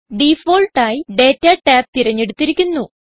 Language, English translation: Malayalam, By default, Data tab is selected